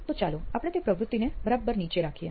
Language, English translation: Gujarati, So let us keep that activity just underneath